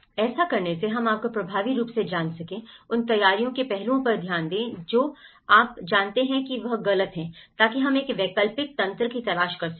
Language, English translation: Hindi, So that, we can effectively you know, look after those preparedness aspects, what went wrong you know, so that we can look for an alternative mechanisms